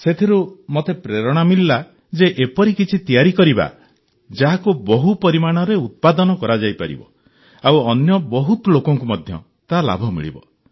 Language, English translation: Odia, From there, I got the inspiration to make something that can be mass produced, so that it can be of benefit to many people